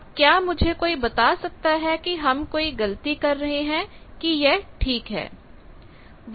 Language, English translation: Hindi, Now can anyone tell me that are we making mistake or this is ok